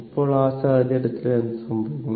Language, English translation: Malayalam, So, in that case what will happen